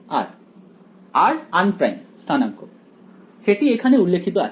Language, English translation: Bengali, r un primed coordinates right that is that is indicated over here